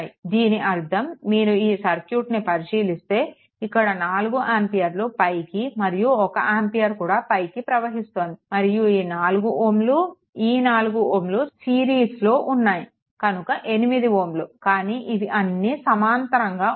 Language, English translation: Telugu, The that means, if you look into that this 4 ampere is upward and this 1 ampere is also upward, and this your what you call this all this things this one, this one, this one and this 4 plus 4, it is basically 8 ohm, but all this things are in parallel